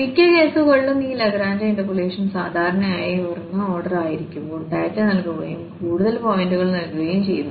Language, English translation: Malayalam, So, in many cases this Lagrange interpolation usually when it is a higher order data is given and more points are given